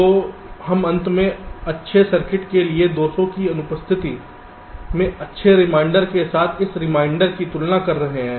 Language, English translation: Hindi, so we are finally comparing that reminder with the good reminder in presence of means, in the absence of faults for the good circuit